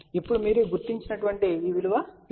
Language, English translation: Telugu, So, we know that the first thing which was j 0